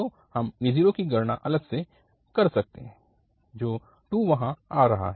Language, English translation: Hindi, So, a naught we can separately compute which is coming 2 there